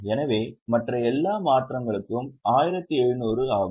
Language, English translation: Tamil, So, all other changes together was 1,700